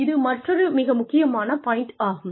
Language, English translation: Tamil, Another, very essential point